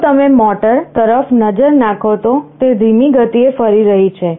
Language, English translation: Gujarati, If you look into the motor, it is rotating at a slower speed